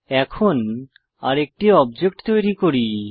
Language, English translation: Bengali, Now, let us create one more object